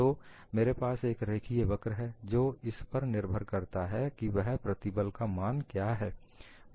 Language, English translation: Hindi, So, I am going to have a linear curve and this depends on what is the value of stress